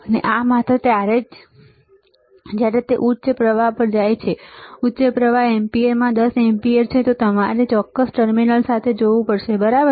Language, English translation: Gujarati, And this only when it goes to higher current higher current is 10 amperes ns in amperes, then you have to connect these particular terminals, all right